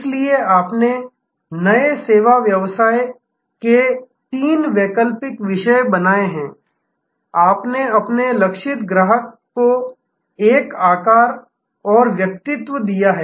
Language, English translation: Hindi, So, you have created therefore three alternative themes of the new service business, you have given a shape and personality to your target customer